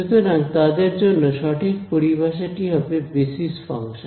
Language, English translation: Bengali, So, these are the correct terminology for them these are called basis functions